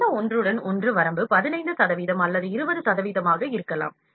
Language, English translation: Tamil, So, this overlap limit can be 15 percent or 20 percent